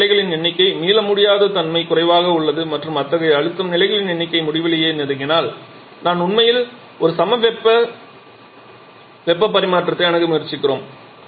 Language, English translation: Tamil, More number of pressure levels less is the irreversibility and we are up to and if the number of such pressure levels approaches infinity we are actually of trying to approach an isothermal heat transfer